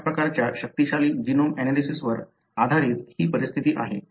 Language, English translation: Marathi, So, this is likely the scenario based on such kind of powerful genome analysis